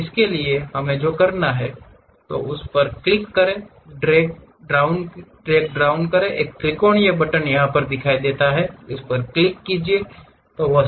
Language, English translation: Hindi, For that what we have to do is click this one there is a drag down kind of button the triangular one click that, go there